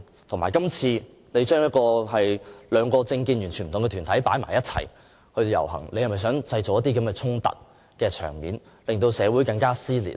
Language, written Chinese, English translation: Cantonese, 再者，署方今次把政見完全不同的兩個團體安排在一起，是否想製造一些衝突場面，令社會更撕裂？, Moreover is it true that LCSD by grouping two organizations with opposite political views together under the current arrangement wishes to provoke confrontations and intensify the division in society?